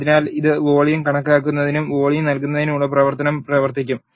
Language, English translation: Malayalam, So, this will run the function to calculate the volume and returns the volume